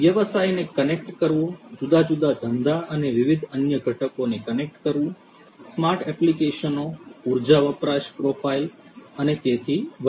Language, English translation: Gujarati, Connecting the business, connecting different businesses and different other components, smart applications energy consumption profiles and so on